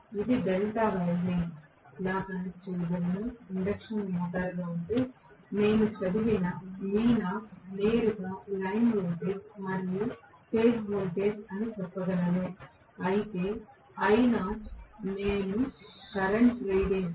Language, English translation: Telugu, If it had been a delta connected induction motor, I can say v naught whatever I read is directly line voltage as well as phase voltage whereas I naught whatever I am reading current